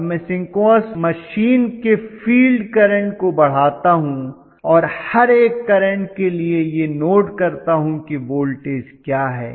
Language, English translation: Hindi, So I keep on increasing the flow of current of the synchronous machine and then I note down, what is the voltage generated